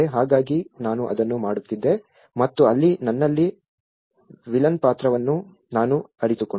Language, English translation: Kannada, So that is what I was doing and there I realize a villain role in myself